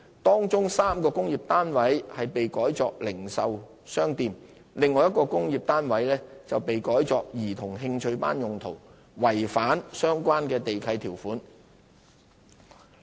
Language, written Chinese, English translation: Cantonese, 當中3個工廈單位被改作零售商店，另外1個工廈單位被改作兒童興趣班用途，違反相關地契條款。, 126 . Among them three units were used as retail shops while one was used for childrens interest class purpose all breaching the relevant lease conditions